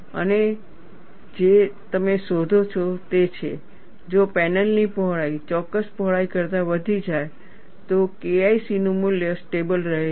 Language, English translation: Gujarati, And what you find is, if the width of the panel is increased, beyond a particular width, the value of K 1 C remains constant